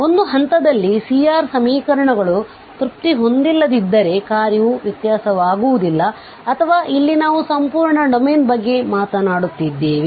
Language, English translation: Kannada, So, if the C R equations are not satisfied at a point the function will not be differentiable or here we are talking about the whole domain